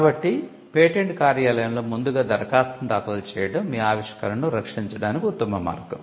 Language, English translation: Telugu, So, filing an application before the patent office is a way to protect your invention